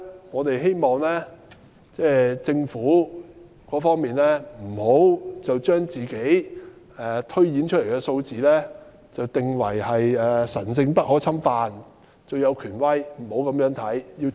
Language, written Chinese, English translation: Cantonese, 我們希望政府不要把自己推斷的數字定為神聖不可侵犯，最有權威，不應這樣做。, We hope that the Government should not regard its projections the most sacrosanct and authoritative . It should not be the case